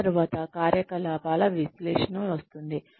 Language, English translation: Telugu, After that, comes the operations analysis